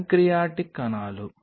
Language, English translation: Telugu, is it pancreatic cells